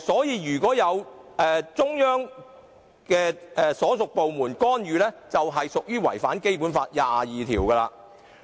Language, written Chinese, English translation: Cantonese, 如果中央所屬部門干預，便違反了《基本法》第二十二條。, If the departments under the Central Government interfere in it they breach Article 22 of the Basic Law